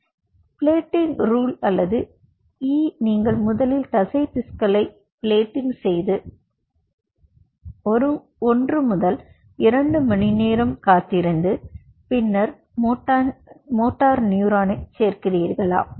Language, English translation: Tamil, so the plating rule was, or e is you plate the muscle first and wait for one to two hours and then add the motor neuron